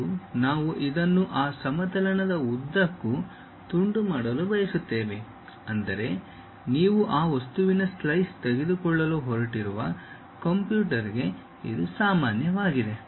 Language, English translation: Kannada, And, we would like to slice this along that plane; that means, normal to the computer you are going to take a slice of that object